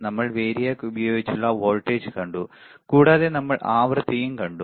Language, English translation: Malayalam, Then we have seen the voltage using the variac and we have also seen the frequency, we have seen the frequency